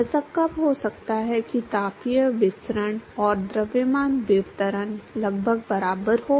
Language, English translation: Hindi, When can it be the case that the thermal diffusivity and mass diffusivity are almost equal